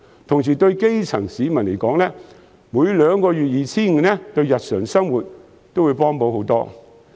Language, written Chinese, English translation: Cantonese, 另外，對基層市民來說，每兩個月 2,500 元對日常生活的幫助也較大。, On the other hand for the grass roots disbursing the issuance of vouchers of 2,500 with a gap of two months will bring greater benefits to their daily lives